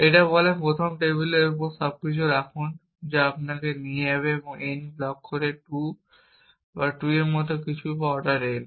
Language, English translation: Bengali, It says first put everything on the table, which will take you if the n blocks at most some order n by 2 or something like that or order n